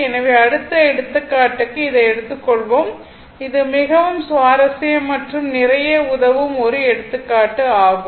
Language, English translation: Tamil, So, next example, we will take this one this is a very interesting example look one example will help you a lot